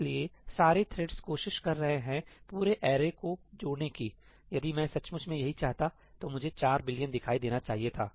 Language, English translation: Hindi, So, all the threads are actually trying to add up entire array if I wanted to actually do this, the value I should have seen is 4 billion